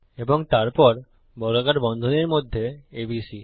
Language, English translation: Bengali, And then inside square brackets, ABC